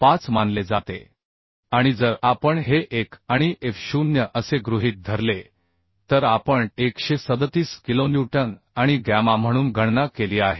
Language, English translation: Marathi, 5 and if we assume this as 1 and F0 we have calculated as 137 kilonewton and gamma f is 1